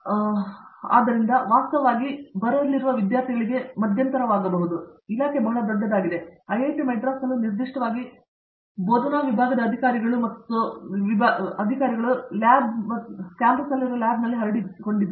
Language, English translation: Kannada, So, this actually can also be intermediating to the students who are coming in, because the department is very big and at IIT, Madras particularly the officers of faculty and labs are scattered all over the campus